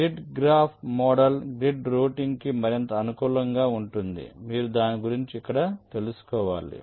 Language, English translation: Telugu, the grid graph model is more suitable for grid routing, but you shall anyway talk about it here